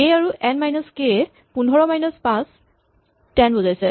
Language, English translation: Assamese, This k and n minus k basically says that 15 minus 5 is 10